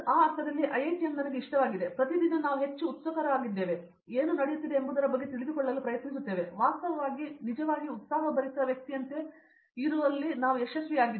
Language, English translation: Kannada, In that sense IITM like and also you become more and more enthusiastic everyday and you try to know about everything what is going on, what’s actually happening like you be like a very lively person in fact